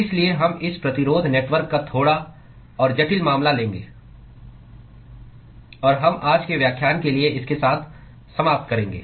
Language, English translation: Hindi, So, we will just take a little bit more complicated case of this resistance network; and we will finish with that for today’s lecture